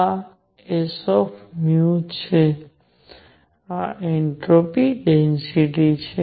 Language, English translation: Gujarati, This is s nu, this is the entropy density